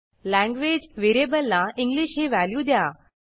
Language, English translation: Marathi, Now, let us assign English to the language variable